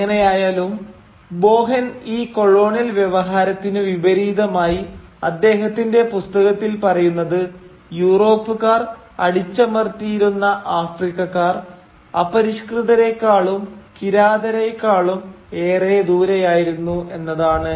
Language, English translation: Malayalam, However, Boahen points out in his book that contrary to this colonial discourse, the Africans, who were subjugated by the Europeans, were far from being savages and barbarians